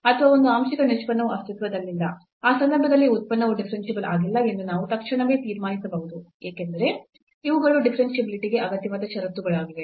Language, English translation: Kannada, Or one partial derivative does not exist in that case we can immediately conclude there that the function is not differentiable, because these are the necessary conditions for differentiability